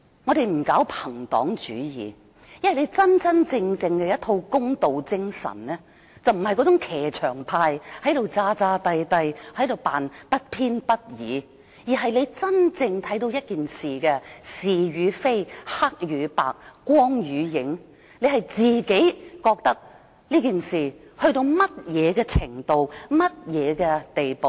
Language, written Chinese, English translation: Cantonese, 我們不搞朋黨主義，因為真正的公道精神並非騎牆派，裝模作樣地扮作不偏不倚，而是真正看到一件事的是與非、黑與白、光與影，自己判斷事情達到甚麼程度和甚麼地步。, We do not practise cronyism . Because a person with the genuine spirit of fairness is not a fence - sitter who takes on the appearance of being impartial; instead he is really capable of distinguishing between the right and wrong black and white light and shadow of a matter making his own judgment and determining to what extent and how far the matter has developed